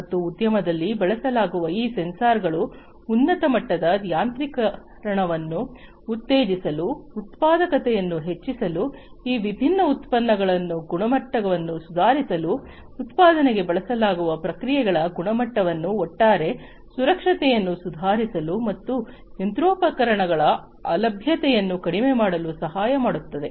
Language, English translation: Kannada, And these sensors that are used in the industry should help in promoting higher degree of automation, raising the productivity, improving the quality of these different products, quality of the processes, that are used for manufacturing, improving the overall safety and reducing the downtime of the machinery